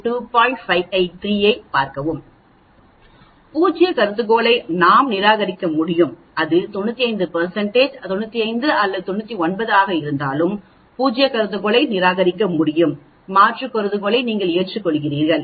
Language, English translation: Tamil, So even at 99 % confidence interval we can reject the null hypothesis, whether it is 95 or 99 we can reject the null hypothesis that means you accept the alternate hypothesis